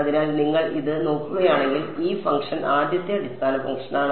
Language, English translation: Malayalam, So, this function if you look at this is the first basis function